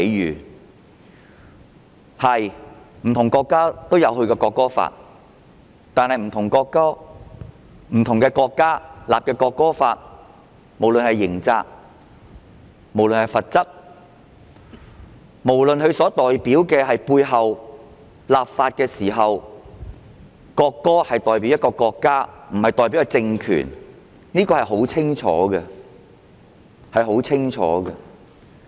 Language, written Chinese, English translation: Cantonese, 沒錯，不同國家也有制定國歌法，但不同國家制定的國歌法，不論是刑責和罰則，不論是立法背後的意義，即國歌代表的是一個國家而不是政權，全部都載述得清清楚楚。, True different countries have enacted a national anthem law but the national anthem laws enacted by them set out everything explicitly be it the criminal liability penalty or the meaning behind the legislation . That is the national anthem stands for the country rather than the political regime